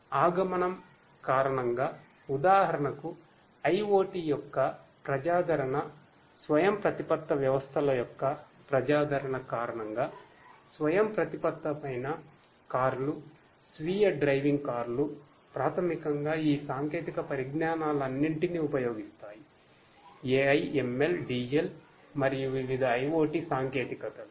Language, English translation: Telugu, Due to the advent, the popularity of IoT for instance, due to the popularity of autonomous systems for example, you know autonomous cars, self driving cars which basically use a combination of all of these technologies AI, ML, DL plus different different IIoT technologies are used